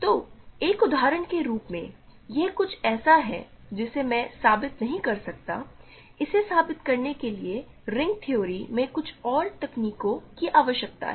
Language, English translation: Hindi, So, as an example this is something that I cannot prove, it requires some more techniques in ring theory to prove this